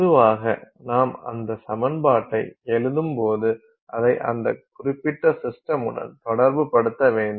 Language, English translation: Tamil, So, when you write that equation they typically focus on the terms that are relevant to that particular system